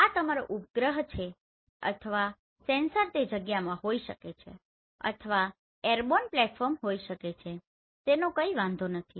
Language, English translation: Gujarati, This is your satellite or the sensor does not matter where it is it can be in space or maybe airborne platform